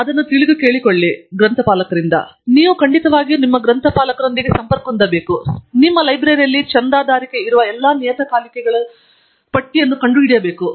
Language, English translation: Kannada, So, you definitely must get in touch with your librarian and find out what are all the journals that are subscribed by your library